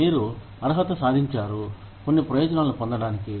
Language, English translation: Telugu, You become eligible, for getting some benefits